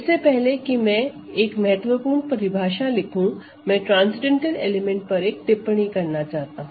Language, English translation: Hindi, Let me now continue so important definition now before I write the definition, let me just make one remark about transcendental elements